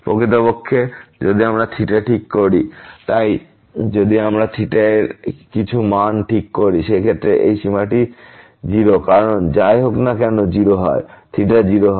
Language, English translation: Bengali, Indeed, if we fix theta; so if we fix some value of theta, in that case this limit is 0 because, whatever theta including 0 also when theta is 0